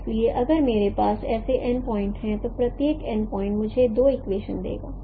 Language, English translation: Hindi, So if I have n such points, n point correspondences, each one will give me two equations